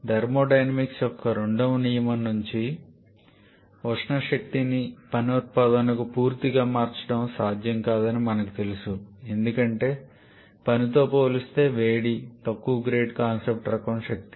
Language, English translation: Telugu, And as from the second law of thermodynamics we know that complete conversion of thermal energy to work output is not possible because heat is a lower grade concept type of energy compared to work